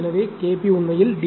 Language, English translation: Tamil, So, K p is actually reciprocal of D